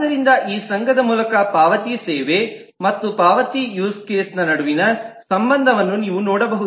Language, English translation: Kannada, So you can see an association between the payment service and the payment use case